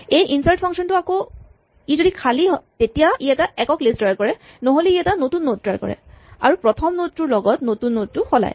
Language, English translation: Assamese, This insert function: again if it is empty then it just creates a singleton list otherwise it creates a new node and exchanges the first node and the new node